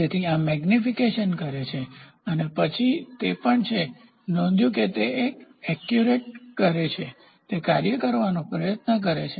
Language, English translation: Gujarati, So, this amplifies and then it tries to actuate whatever it has recorded, it tries to actuate